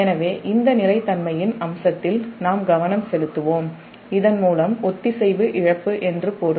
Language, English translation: Tamil, so we will focus on this aspect of stability, that whereby a loss of synchronism will mean to render the system unstable